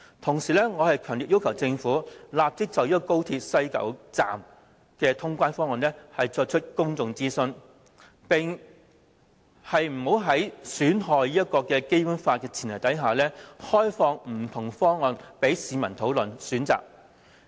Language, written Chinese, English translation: Cantonese, 同時，我強烈要求政府立即就高鐵西九龍站的通關方案進行公眾諮詢，並在不損害《基本法》的前提下，開放不同方案供市民討論和選擇。, Meanwhile I strongly request the Government to immediately conduct a public consultation on the WKS co - location clearance proposal . Without prejudicing the Basic Law the Government should release different proposals for public discussion and selection